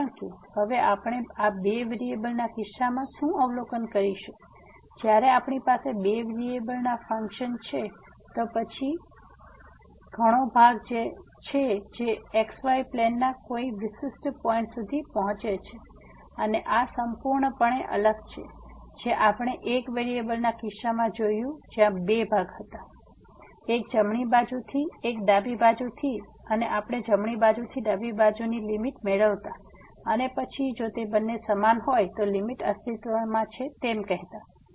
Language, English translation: Gujarati, Because what we will observe now in case of these two variable when we have the functions of two variables, then there are several parts which approaches to a particular point in the xy plane and this is completely different what we have seen in case of one variable where there were two parts; one from the right side, one from the left side and we used to get the limit from the right side, from the left side and then, if they both are equal we say that the limit exist